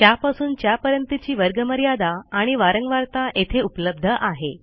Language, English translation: Marathi, the From and to class boundaries and frequency is available here